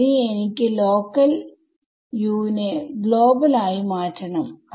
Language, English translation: Malayalam, Now I want to replace the local Us by global